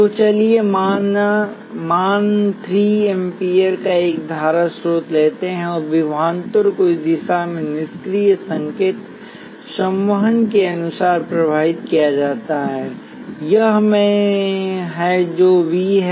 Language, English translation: Hindi, So let us take a current source of value 3 amperes and the voltage is defined in this direction according to passive sign convection this is I that is V